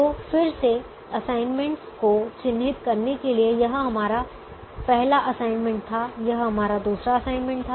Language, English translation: Hindi, so again to mark the assignments: this was our first assignment, this was our second assignment